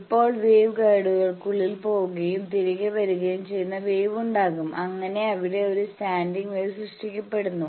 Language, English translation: Malayalam, Now inside the wave guides there will be this wave is go and it comes back, there is a standing wave created